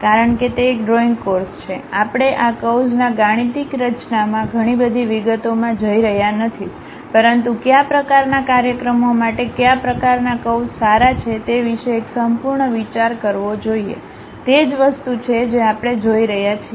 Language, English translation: Gujarati, Because it is a drawing course we are not going too many details into mathematical formulation of these curves ah, but just to have overall idea about what kind of curves are good for what kind of applications, that is the thing what we are going to learn about it